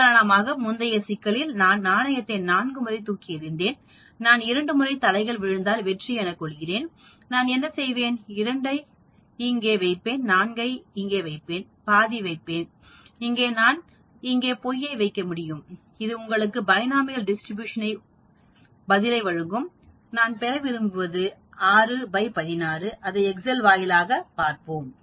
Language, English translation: Tamil, For example, in the previous problem where we looked at 4 times I tossed the coin, I want to know 2 successes with heads, what will I do, I will put 2 here, I will put 4 here, I will put half here and I can put false here and that will give you the Binomial Distribution answer, I should get 6 by 16 as my answer